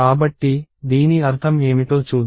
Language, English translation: Telugu, So, let us see what this means